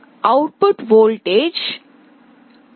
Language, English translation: Telugu, The output voltage V